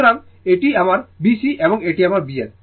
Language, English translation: Bengali, So, this is my B C and this is my B L right